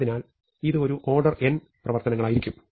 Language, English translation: Malayalam, So, this could be a order n operations